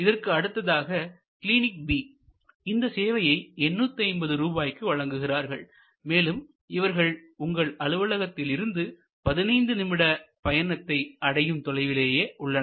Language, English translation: Tamil, Now, the next alternative Clinic B might be offering 850 rupees and it is just located 15 minutes away from your office